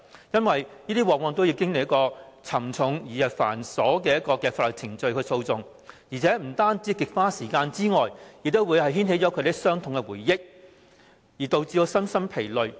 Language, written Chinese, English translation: Cantonese, 因為這樣做往往要經歷沉重而繁瑣的法律程序或訴訟，不單極花時間，亦會牽起他們的傷痛回憶，導致身心疲累。, The reason is that if they do so they must invariably undergo tiring and onerous legal and litigation proceedings . All this will not only waste time but also reopen their old wounds thus plunging them into physical and mental exhaustion